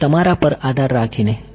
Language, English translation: Gujarati, So, depending on your